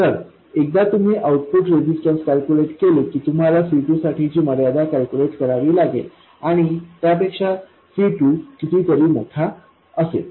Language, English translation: Marathi, So once you calculate the output resistance, all you have to do is calculate the constraint on C2 using this and C2 to be much larger than that one